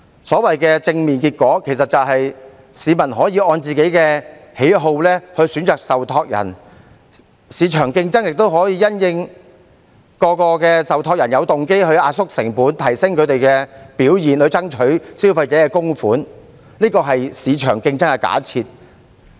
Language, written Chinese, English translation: Cantonese, 所謂的正面結果，其實只是市民可以按個人喜好選擇受託人，市場競爭亦令各個受託人有動機壓縮成本，提升他們的表現，以爭取消費者的供款，這是市場競爭的假設。, The so - called positive result is merely that people can choose trustees in accordance with their personal preferences while various trustees due to market competitiveness will have the incentive to compress their costs and enhance their performance in order to strive for a larger share of the contributions of consumers . This is an assumption in market competition and under this assumption the public can benefit